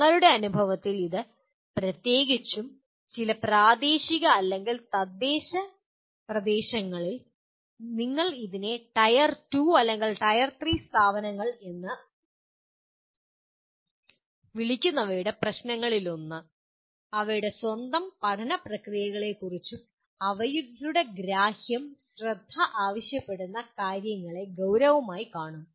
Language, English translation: Malayalam, This we found in our experience especially in some of the regional or local what do you call it tier 2 or tier 3 institutions one of the problems is their understanding of their own learning processes can be seriously what requires attention